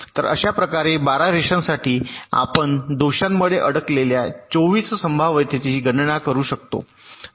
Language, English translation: Marathi, so in this way, for the twelve lines, we can enumerate twenty four possible stuck at faults